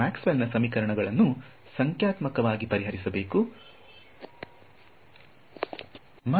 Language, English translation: Kannada, You have to solve Maxwell’s equations numerically and get this ok